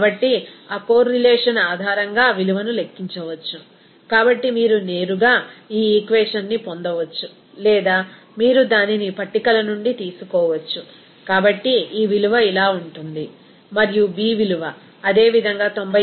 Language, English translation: Telugu, So, a value can be calculated based on that correlation, so you can get directly this equation, or either you can take it from the tables, so this a value will be like this and b value will be is equal to similarly 90